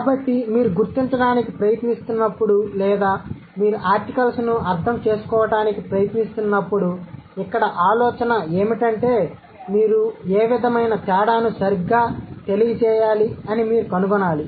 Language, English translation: Telugu, So, when you were trying to figure out, or when you were trying to understand articles, so the idea here is that you have to talk about or you have to find out what sort of difference they must convey